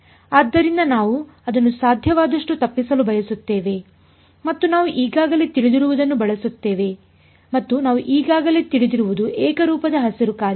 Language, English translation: Kannada, So, we want to avoid that as much as possible and use what we already know and what we already know is a homogeneous Green’s function